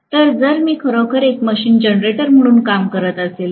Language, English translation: Marathi, So, if I am having actually the machine working as a generator